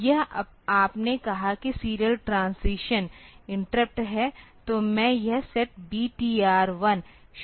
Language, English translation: Hindi, So, this you said that serial transition interrupt then I start this set B T R 1